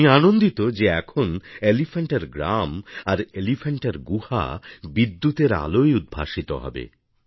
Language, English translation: Bengali, I am glad that now the villages of Elephanta and the caves of Elephanta will be lighted due to electrification